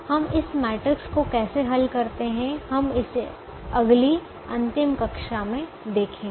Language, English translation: Hindi, how we solve this matrix, we will see this in the next last class